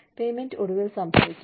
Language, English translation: Malayalam, Placement will happen, eventually